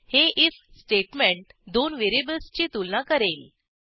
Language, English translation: Marathi, This if statement compares two variables